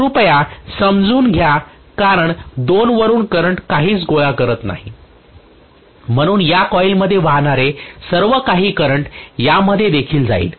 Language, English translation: Marathi, Please understand because nothing is collecting the current from 2 so whatever is the current that is flowing in this coil will also flow into this